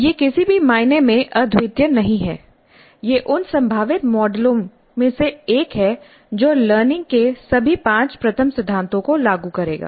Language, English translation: Hindi, This is one of the possible models which will implement all the five first principles of learning